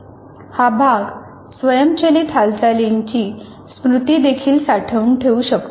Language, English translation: Marathi, It may also store the memory of automated movement